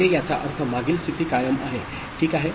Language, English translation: Marathi, So that means previous state is retained, ok